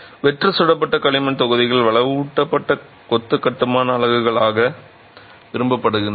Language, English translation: Tamil, The hollow fire clay blocks are preferred as reinforced masonry construction units